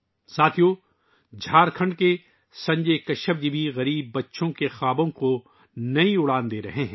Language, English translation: Urdu, Friends, Sanjay Kashyap ji of Jharkhand is also giving new wings to the dreams of poor children